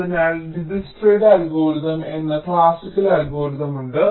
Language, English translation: Malayalam, so there is a classical algorithm called dijkstras algorithm